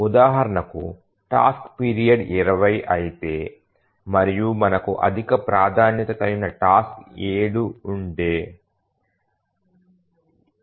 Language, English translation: Telugu, For example, if the task period is 20 and we have a higher priority task whose period is 7